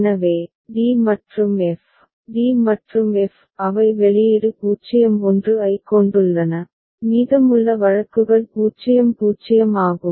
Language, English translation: Tamil, So, d and f, d and f they are having output 0 1 and rest of the cases are 0 0